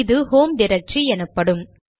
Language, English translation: Tamil, It will go to the home directory